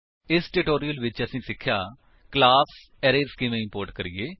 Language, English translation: Punjabi, In this tutorial, we have learnt: * How to import the class Arrays